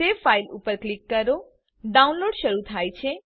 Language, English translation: Gujarati, Click on save file, the downloading will start